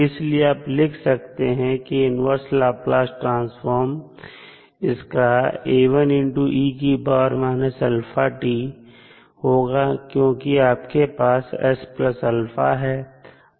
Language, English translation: Hindi, Then we can easily find the inverse Laplace transform of the function Fs